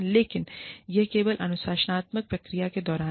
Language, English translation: Hindi, But, it is only during, the disciplinary procedures